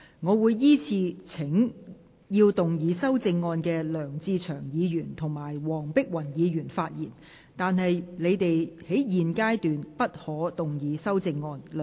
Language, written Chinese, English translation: Cantonese, 我會依次請要動議修正案的梁志祥議員及黃碧雲議員發言；但他們在現階段不可動議修正案。, I will call upon Members who move the amendments to speak in the following order Mr LEUNG Che - cheung and Dr Helena WONG; but they may not move the amendments at this stage